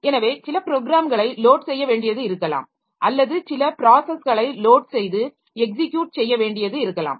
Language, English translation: Tamil, Then there are load and execute so maybe some program has to be loaded or some process has to be loaded or process has to be executed